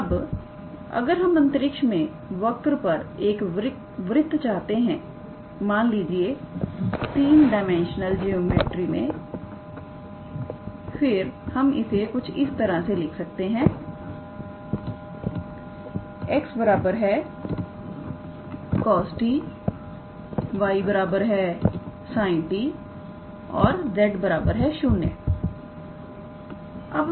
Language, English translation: Hindi, Now, and if we want to have the circle as a curve in space, let us say in 3 d then we write it as x equals to cos t y equals to sin t and we put z equals to 0